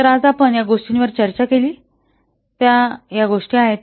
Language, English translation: Marathi, So these are the things that we have discussed on today